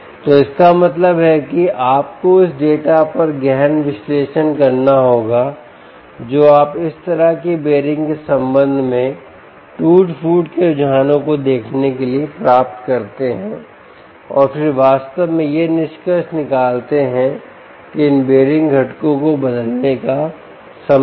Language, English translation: Hindi, so all of that means you must get into deep analytics on the data that you obtain in order to see trends with respect to wear and tear up this such a bearing, and then conclude, indeed, that it is time to replace these ah bearing components